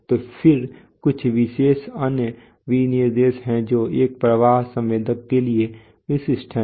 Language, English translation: Hindi, So then there are some, you know, special other specifications which is specific to a flow sensor